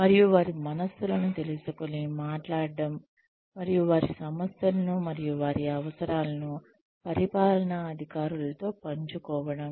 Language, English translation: Telugu, And, to speak their minds, and to share their concerns and their needs with the administration